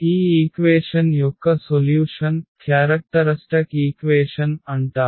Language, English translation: Telugu, So, the solution of this equation which is called the characteristic equation